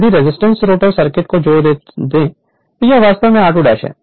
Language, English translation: Hindi, If you add resistance rotor circuit then this is actually r 2 dash is here